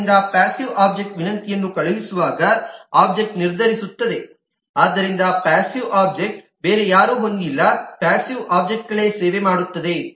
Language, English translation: Kannada, so the object decides when it is to send the request to the passive object and therefore passive object has nobody else the passive object will service